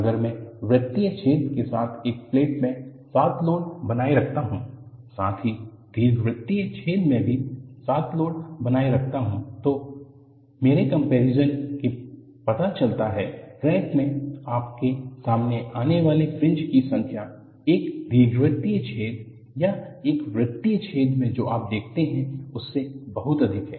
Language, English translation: Hindi, And, if I maintain the load as 7 in plate with the circular hole, as well as 7 in the elliptical hole, the mere comparison shows, the number of fringes you come across in a crack is much higher than what you see in an elliptical hole or a circular hole